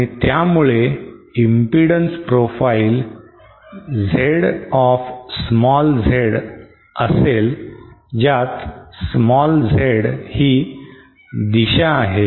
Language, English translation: Marathi, And thus we will have impedance profile Z of Z whereas Z is in this direction